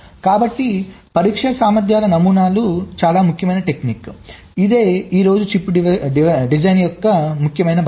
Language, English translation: Telugu, ok, so design for testabilities are very important technique which is part and partial of chip design today